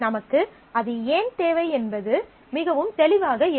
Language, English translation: Tamil, It is not very obvious as to why we need that